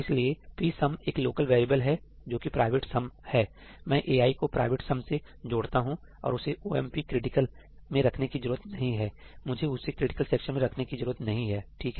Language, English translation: Hindi, So, there is a local variable psum that is the private sum; I add ai to the private sum and I do not need to put that in omp critical; I do not need to put that in a critical section